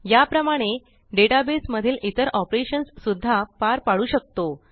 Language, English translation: Marathi, In a similar manner, we can perform other operations in the database too